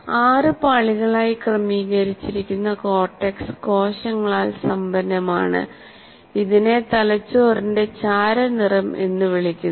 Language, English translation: Malayalam, And the cortex is rich in cells arranged in six layers and is often referred to as a brain's gray matter